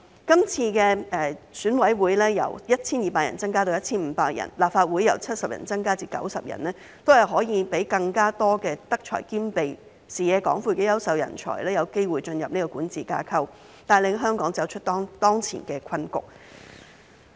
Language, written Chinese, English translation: Cantonese, 今次選委會由 1,200 人增至 1,500 人，立法會由70席增至90席，都是可以讓更多德才兼備、視野廣闊的優秀人才有機會進入管治架構，帶領香港走出當前的困局。, The increase in the number of EC members from 1 200 to 1 500 and the increase in the number of Legislative Council seats from 70 to 90 will allow more virtuous and talented people with broad vision to enter the governance structure and lead Hong Kong out of the current predicament